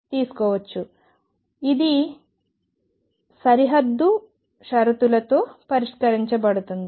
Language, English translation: Telugu, So, this is and this is to be solved with boundary conditions